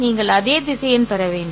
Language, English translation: Tamil, The result is actually a vector